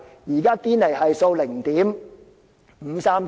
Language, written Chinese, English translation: Cantonese, 現在堅尼系數是 0.539。, The Gini Coefficient now stands at 0.539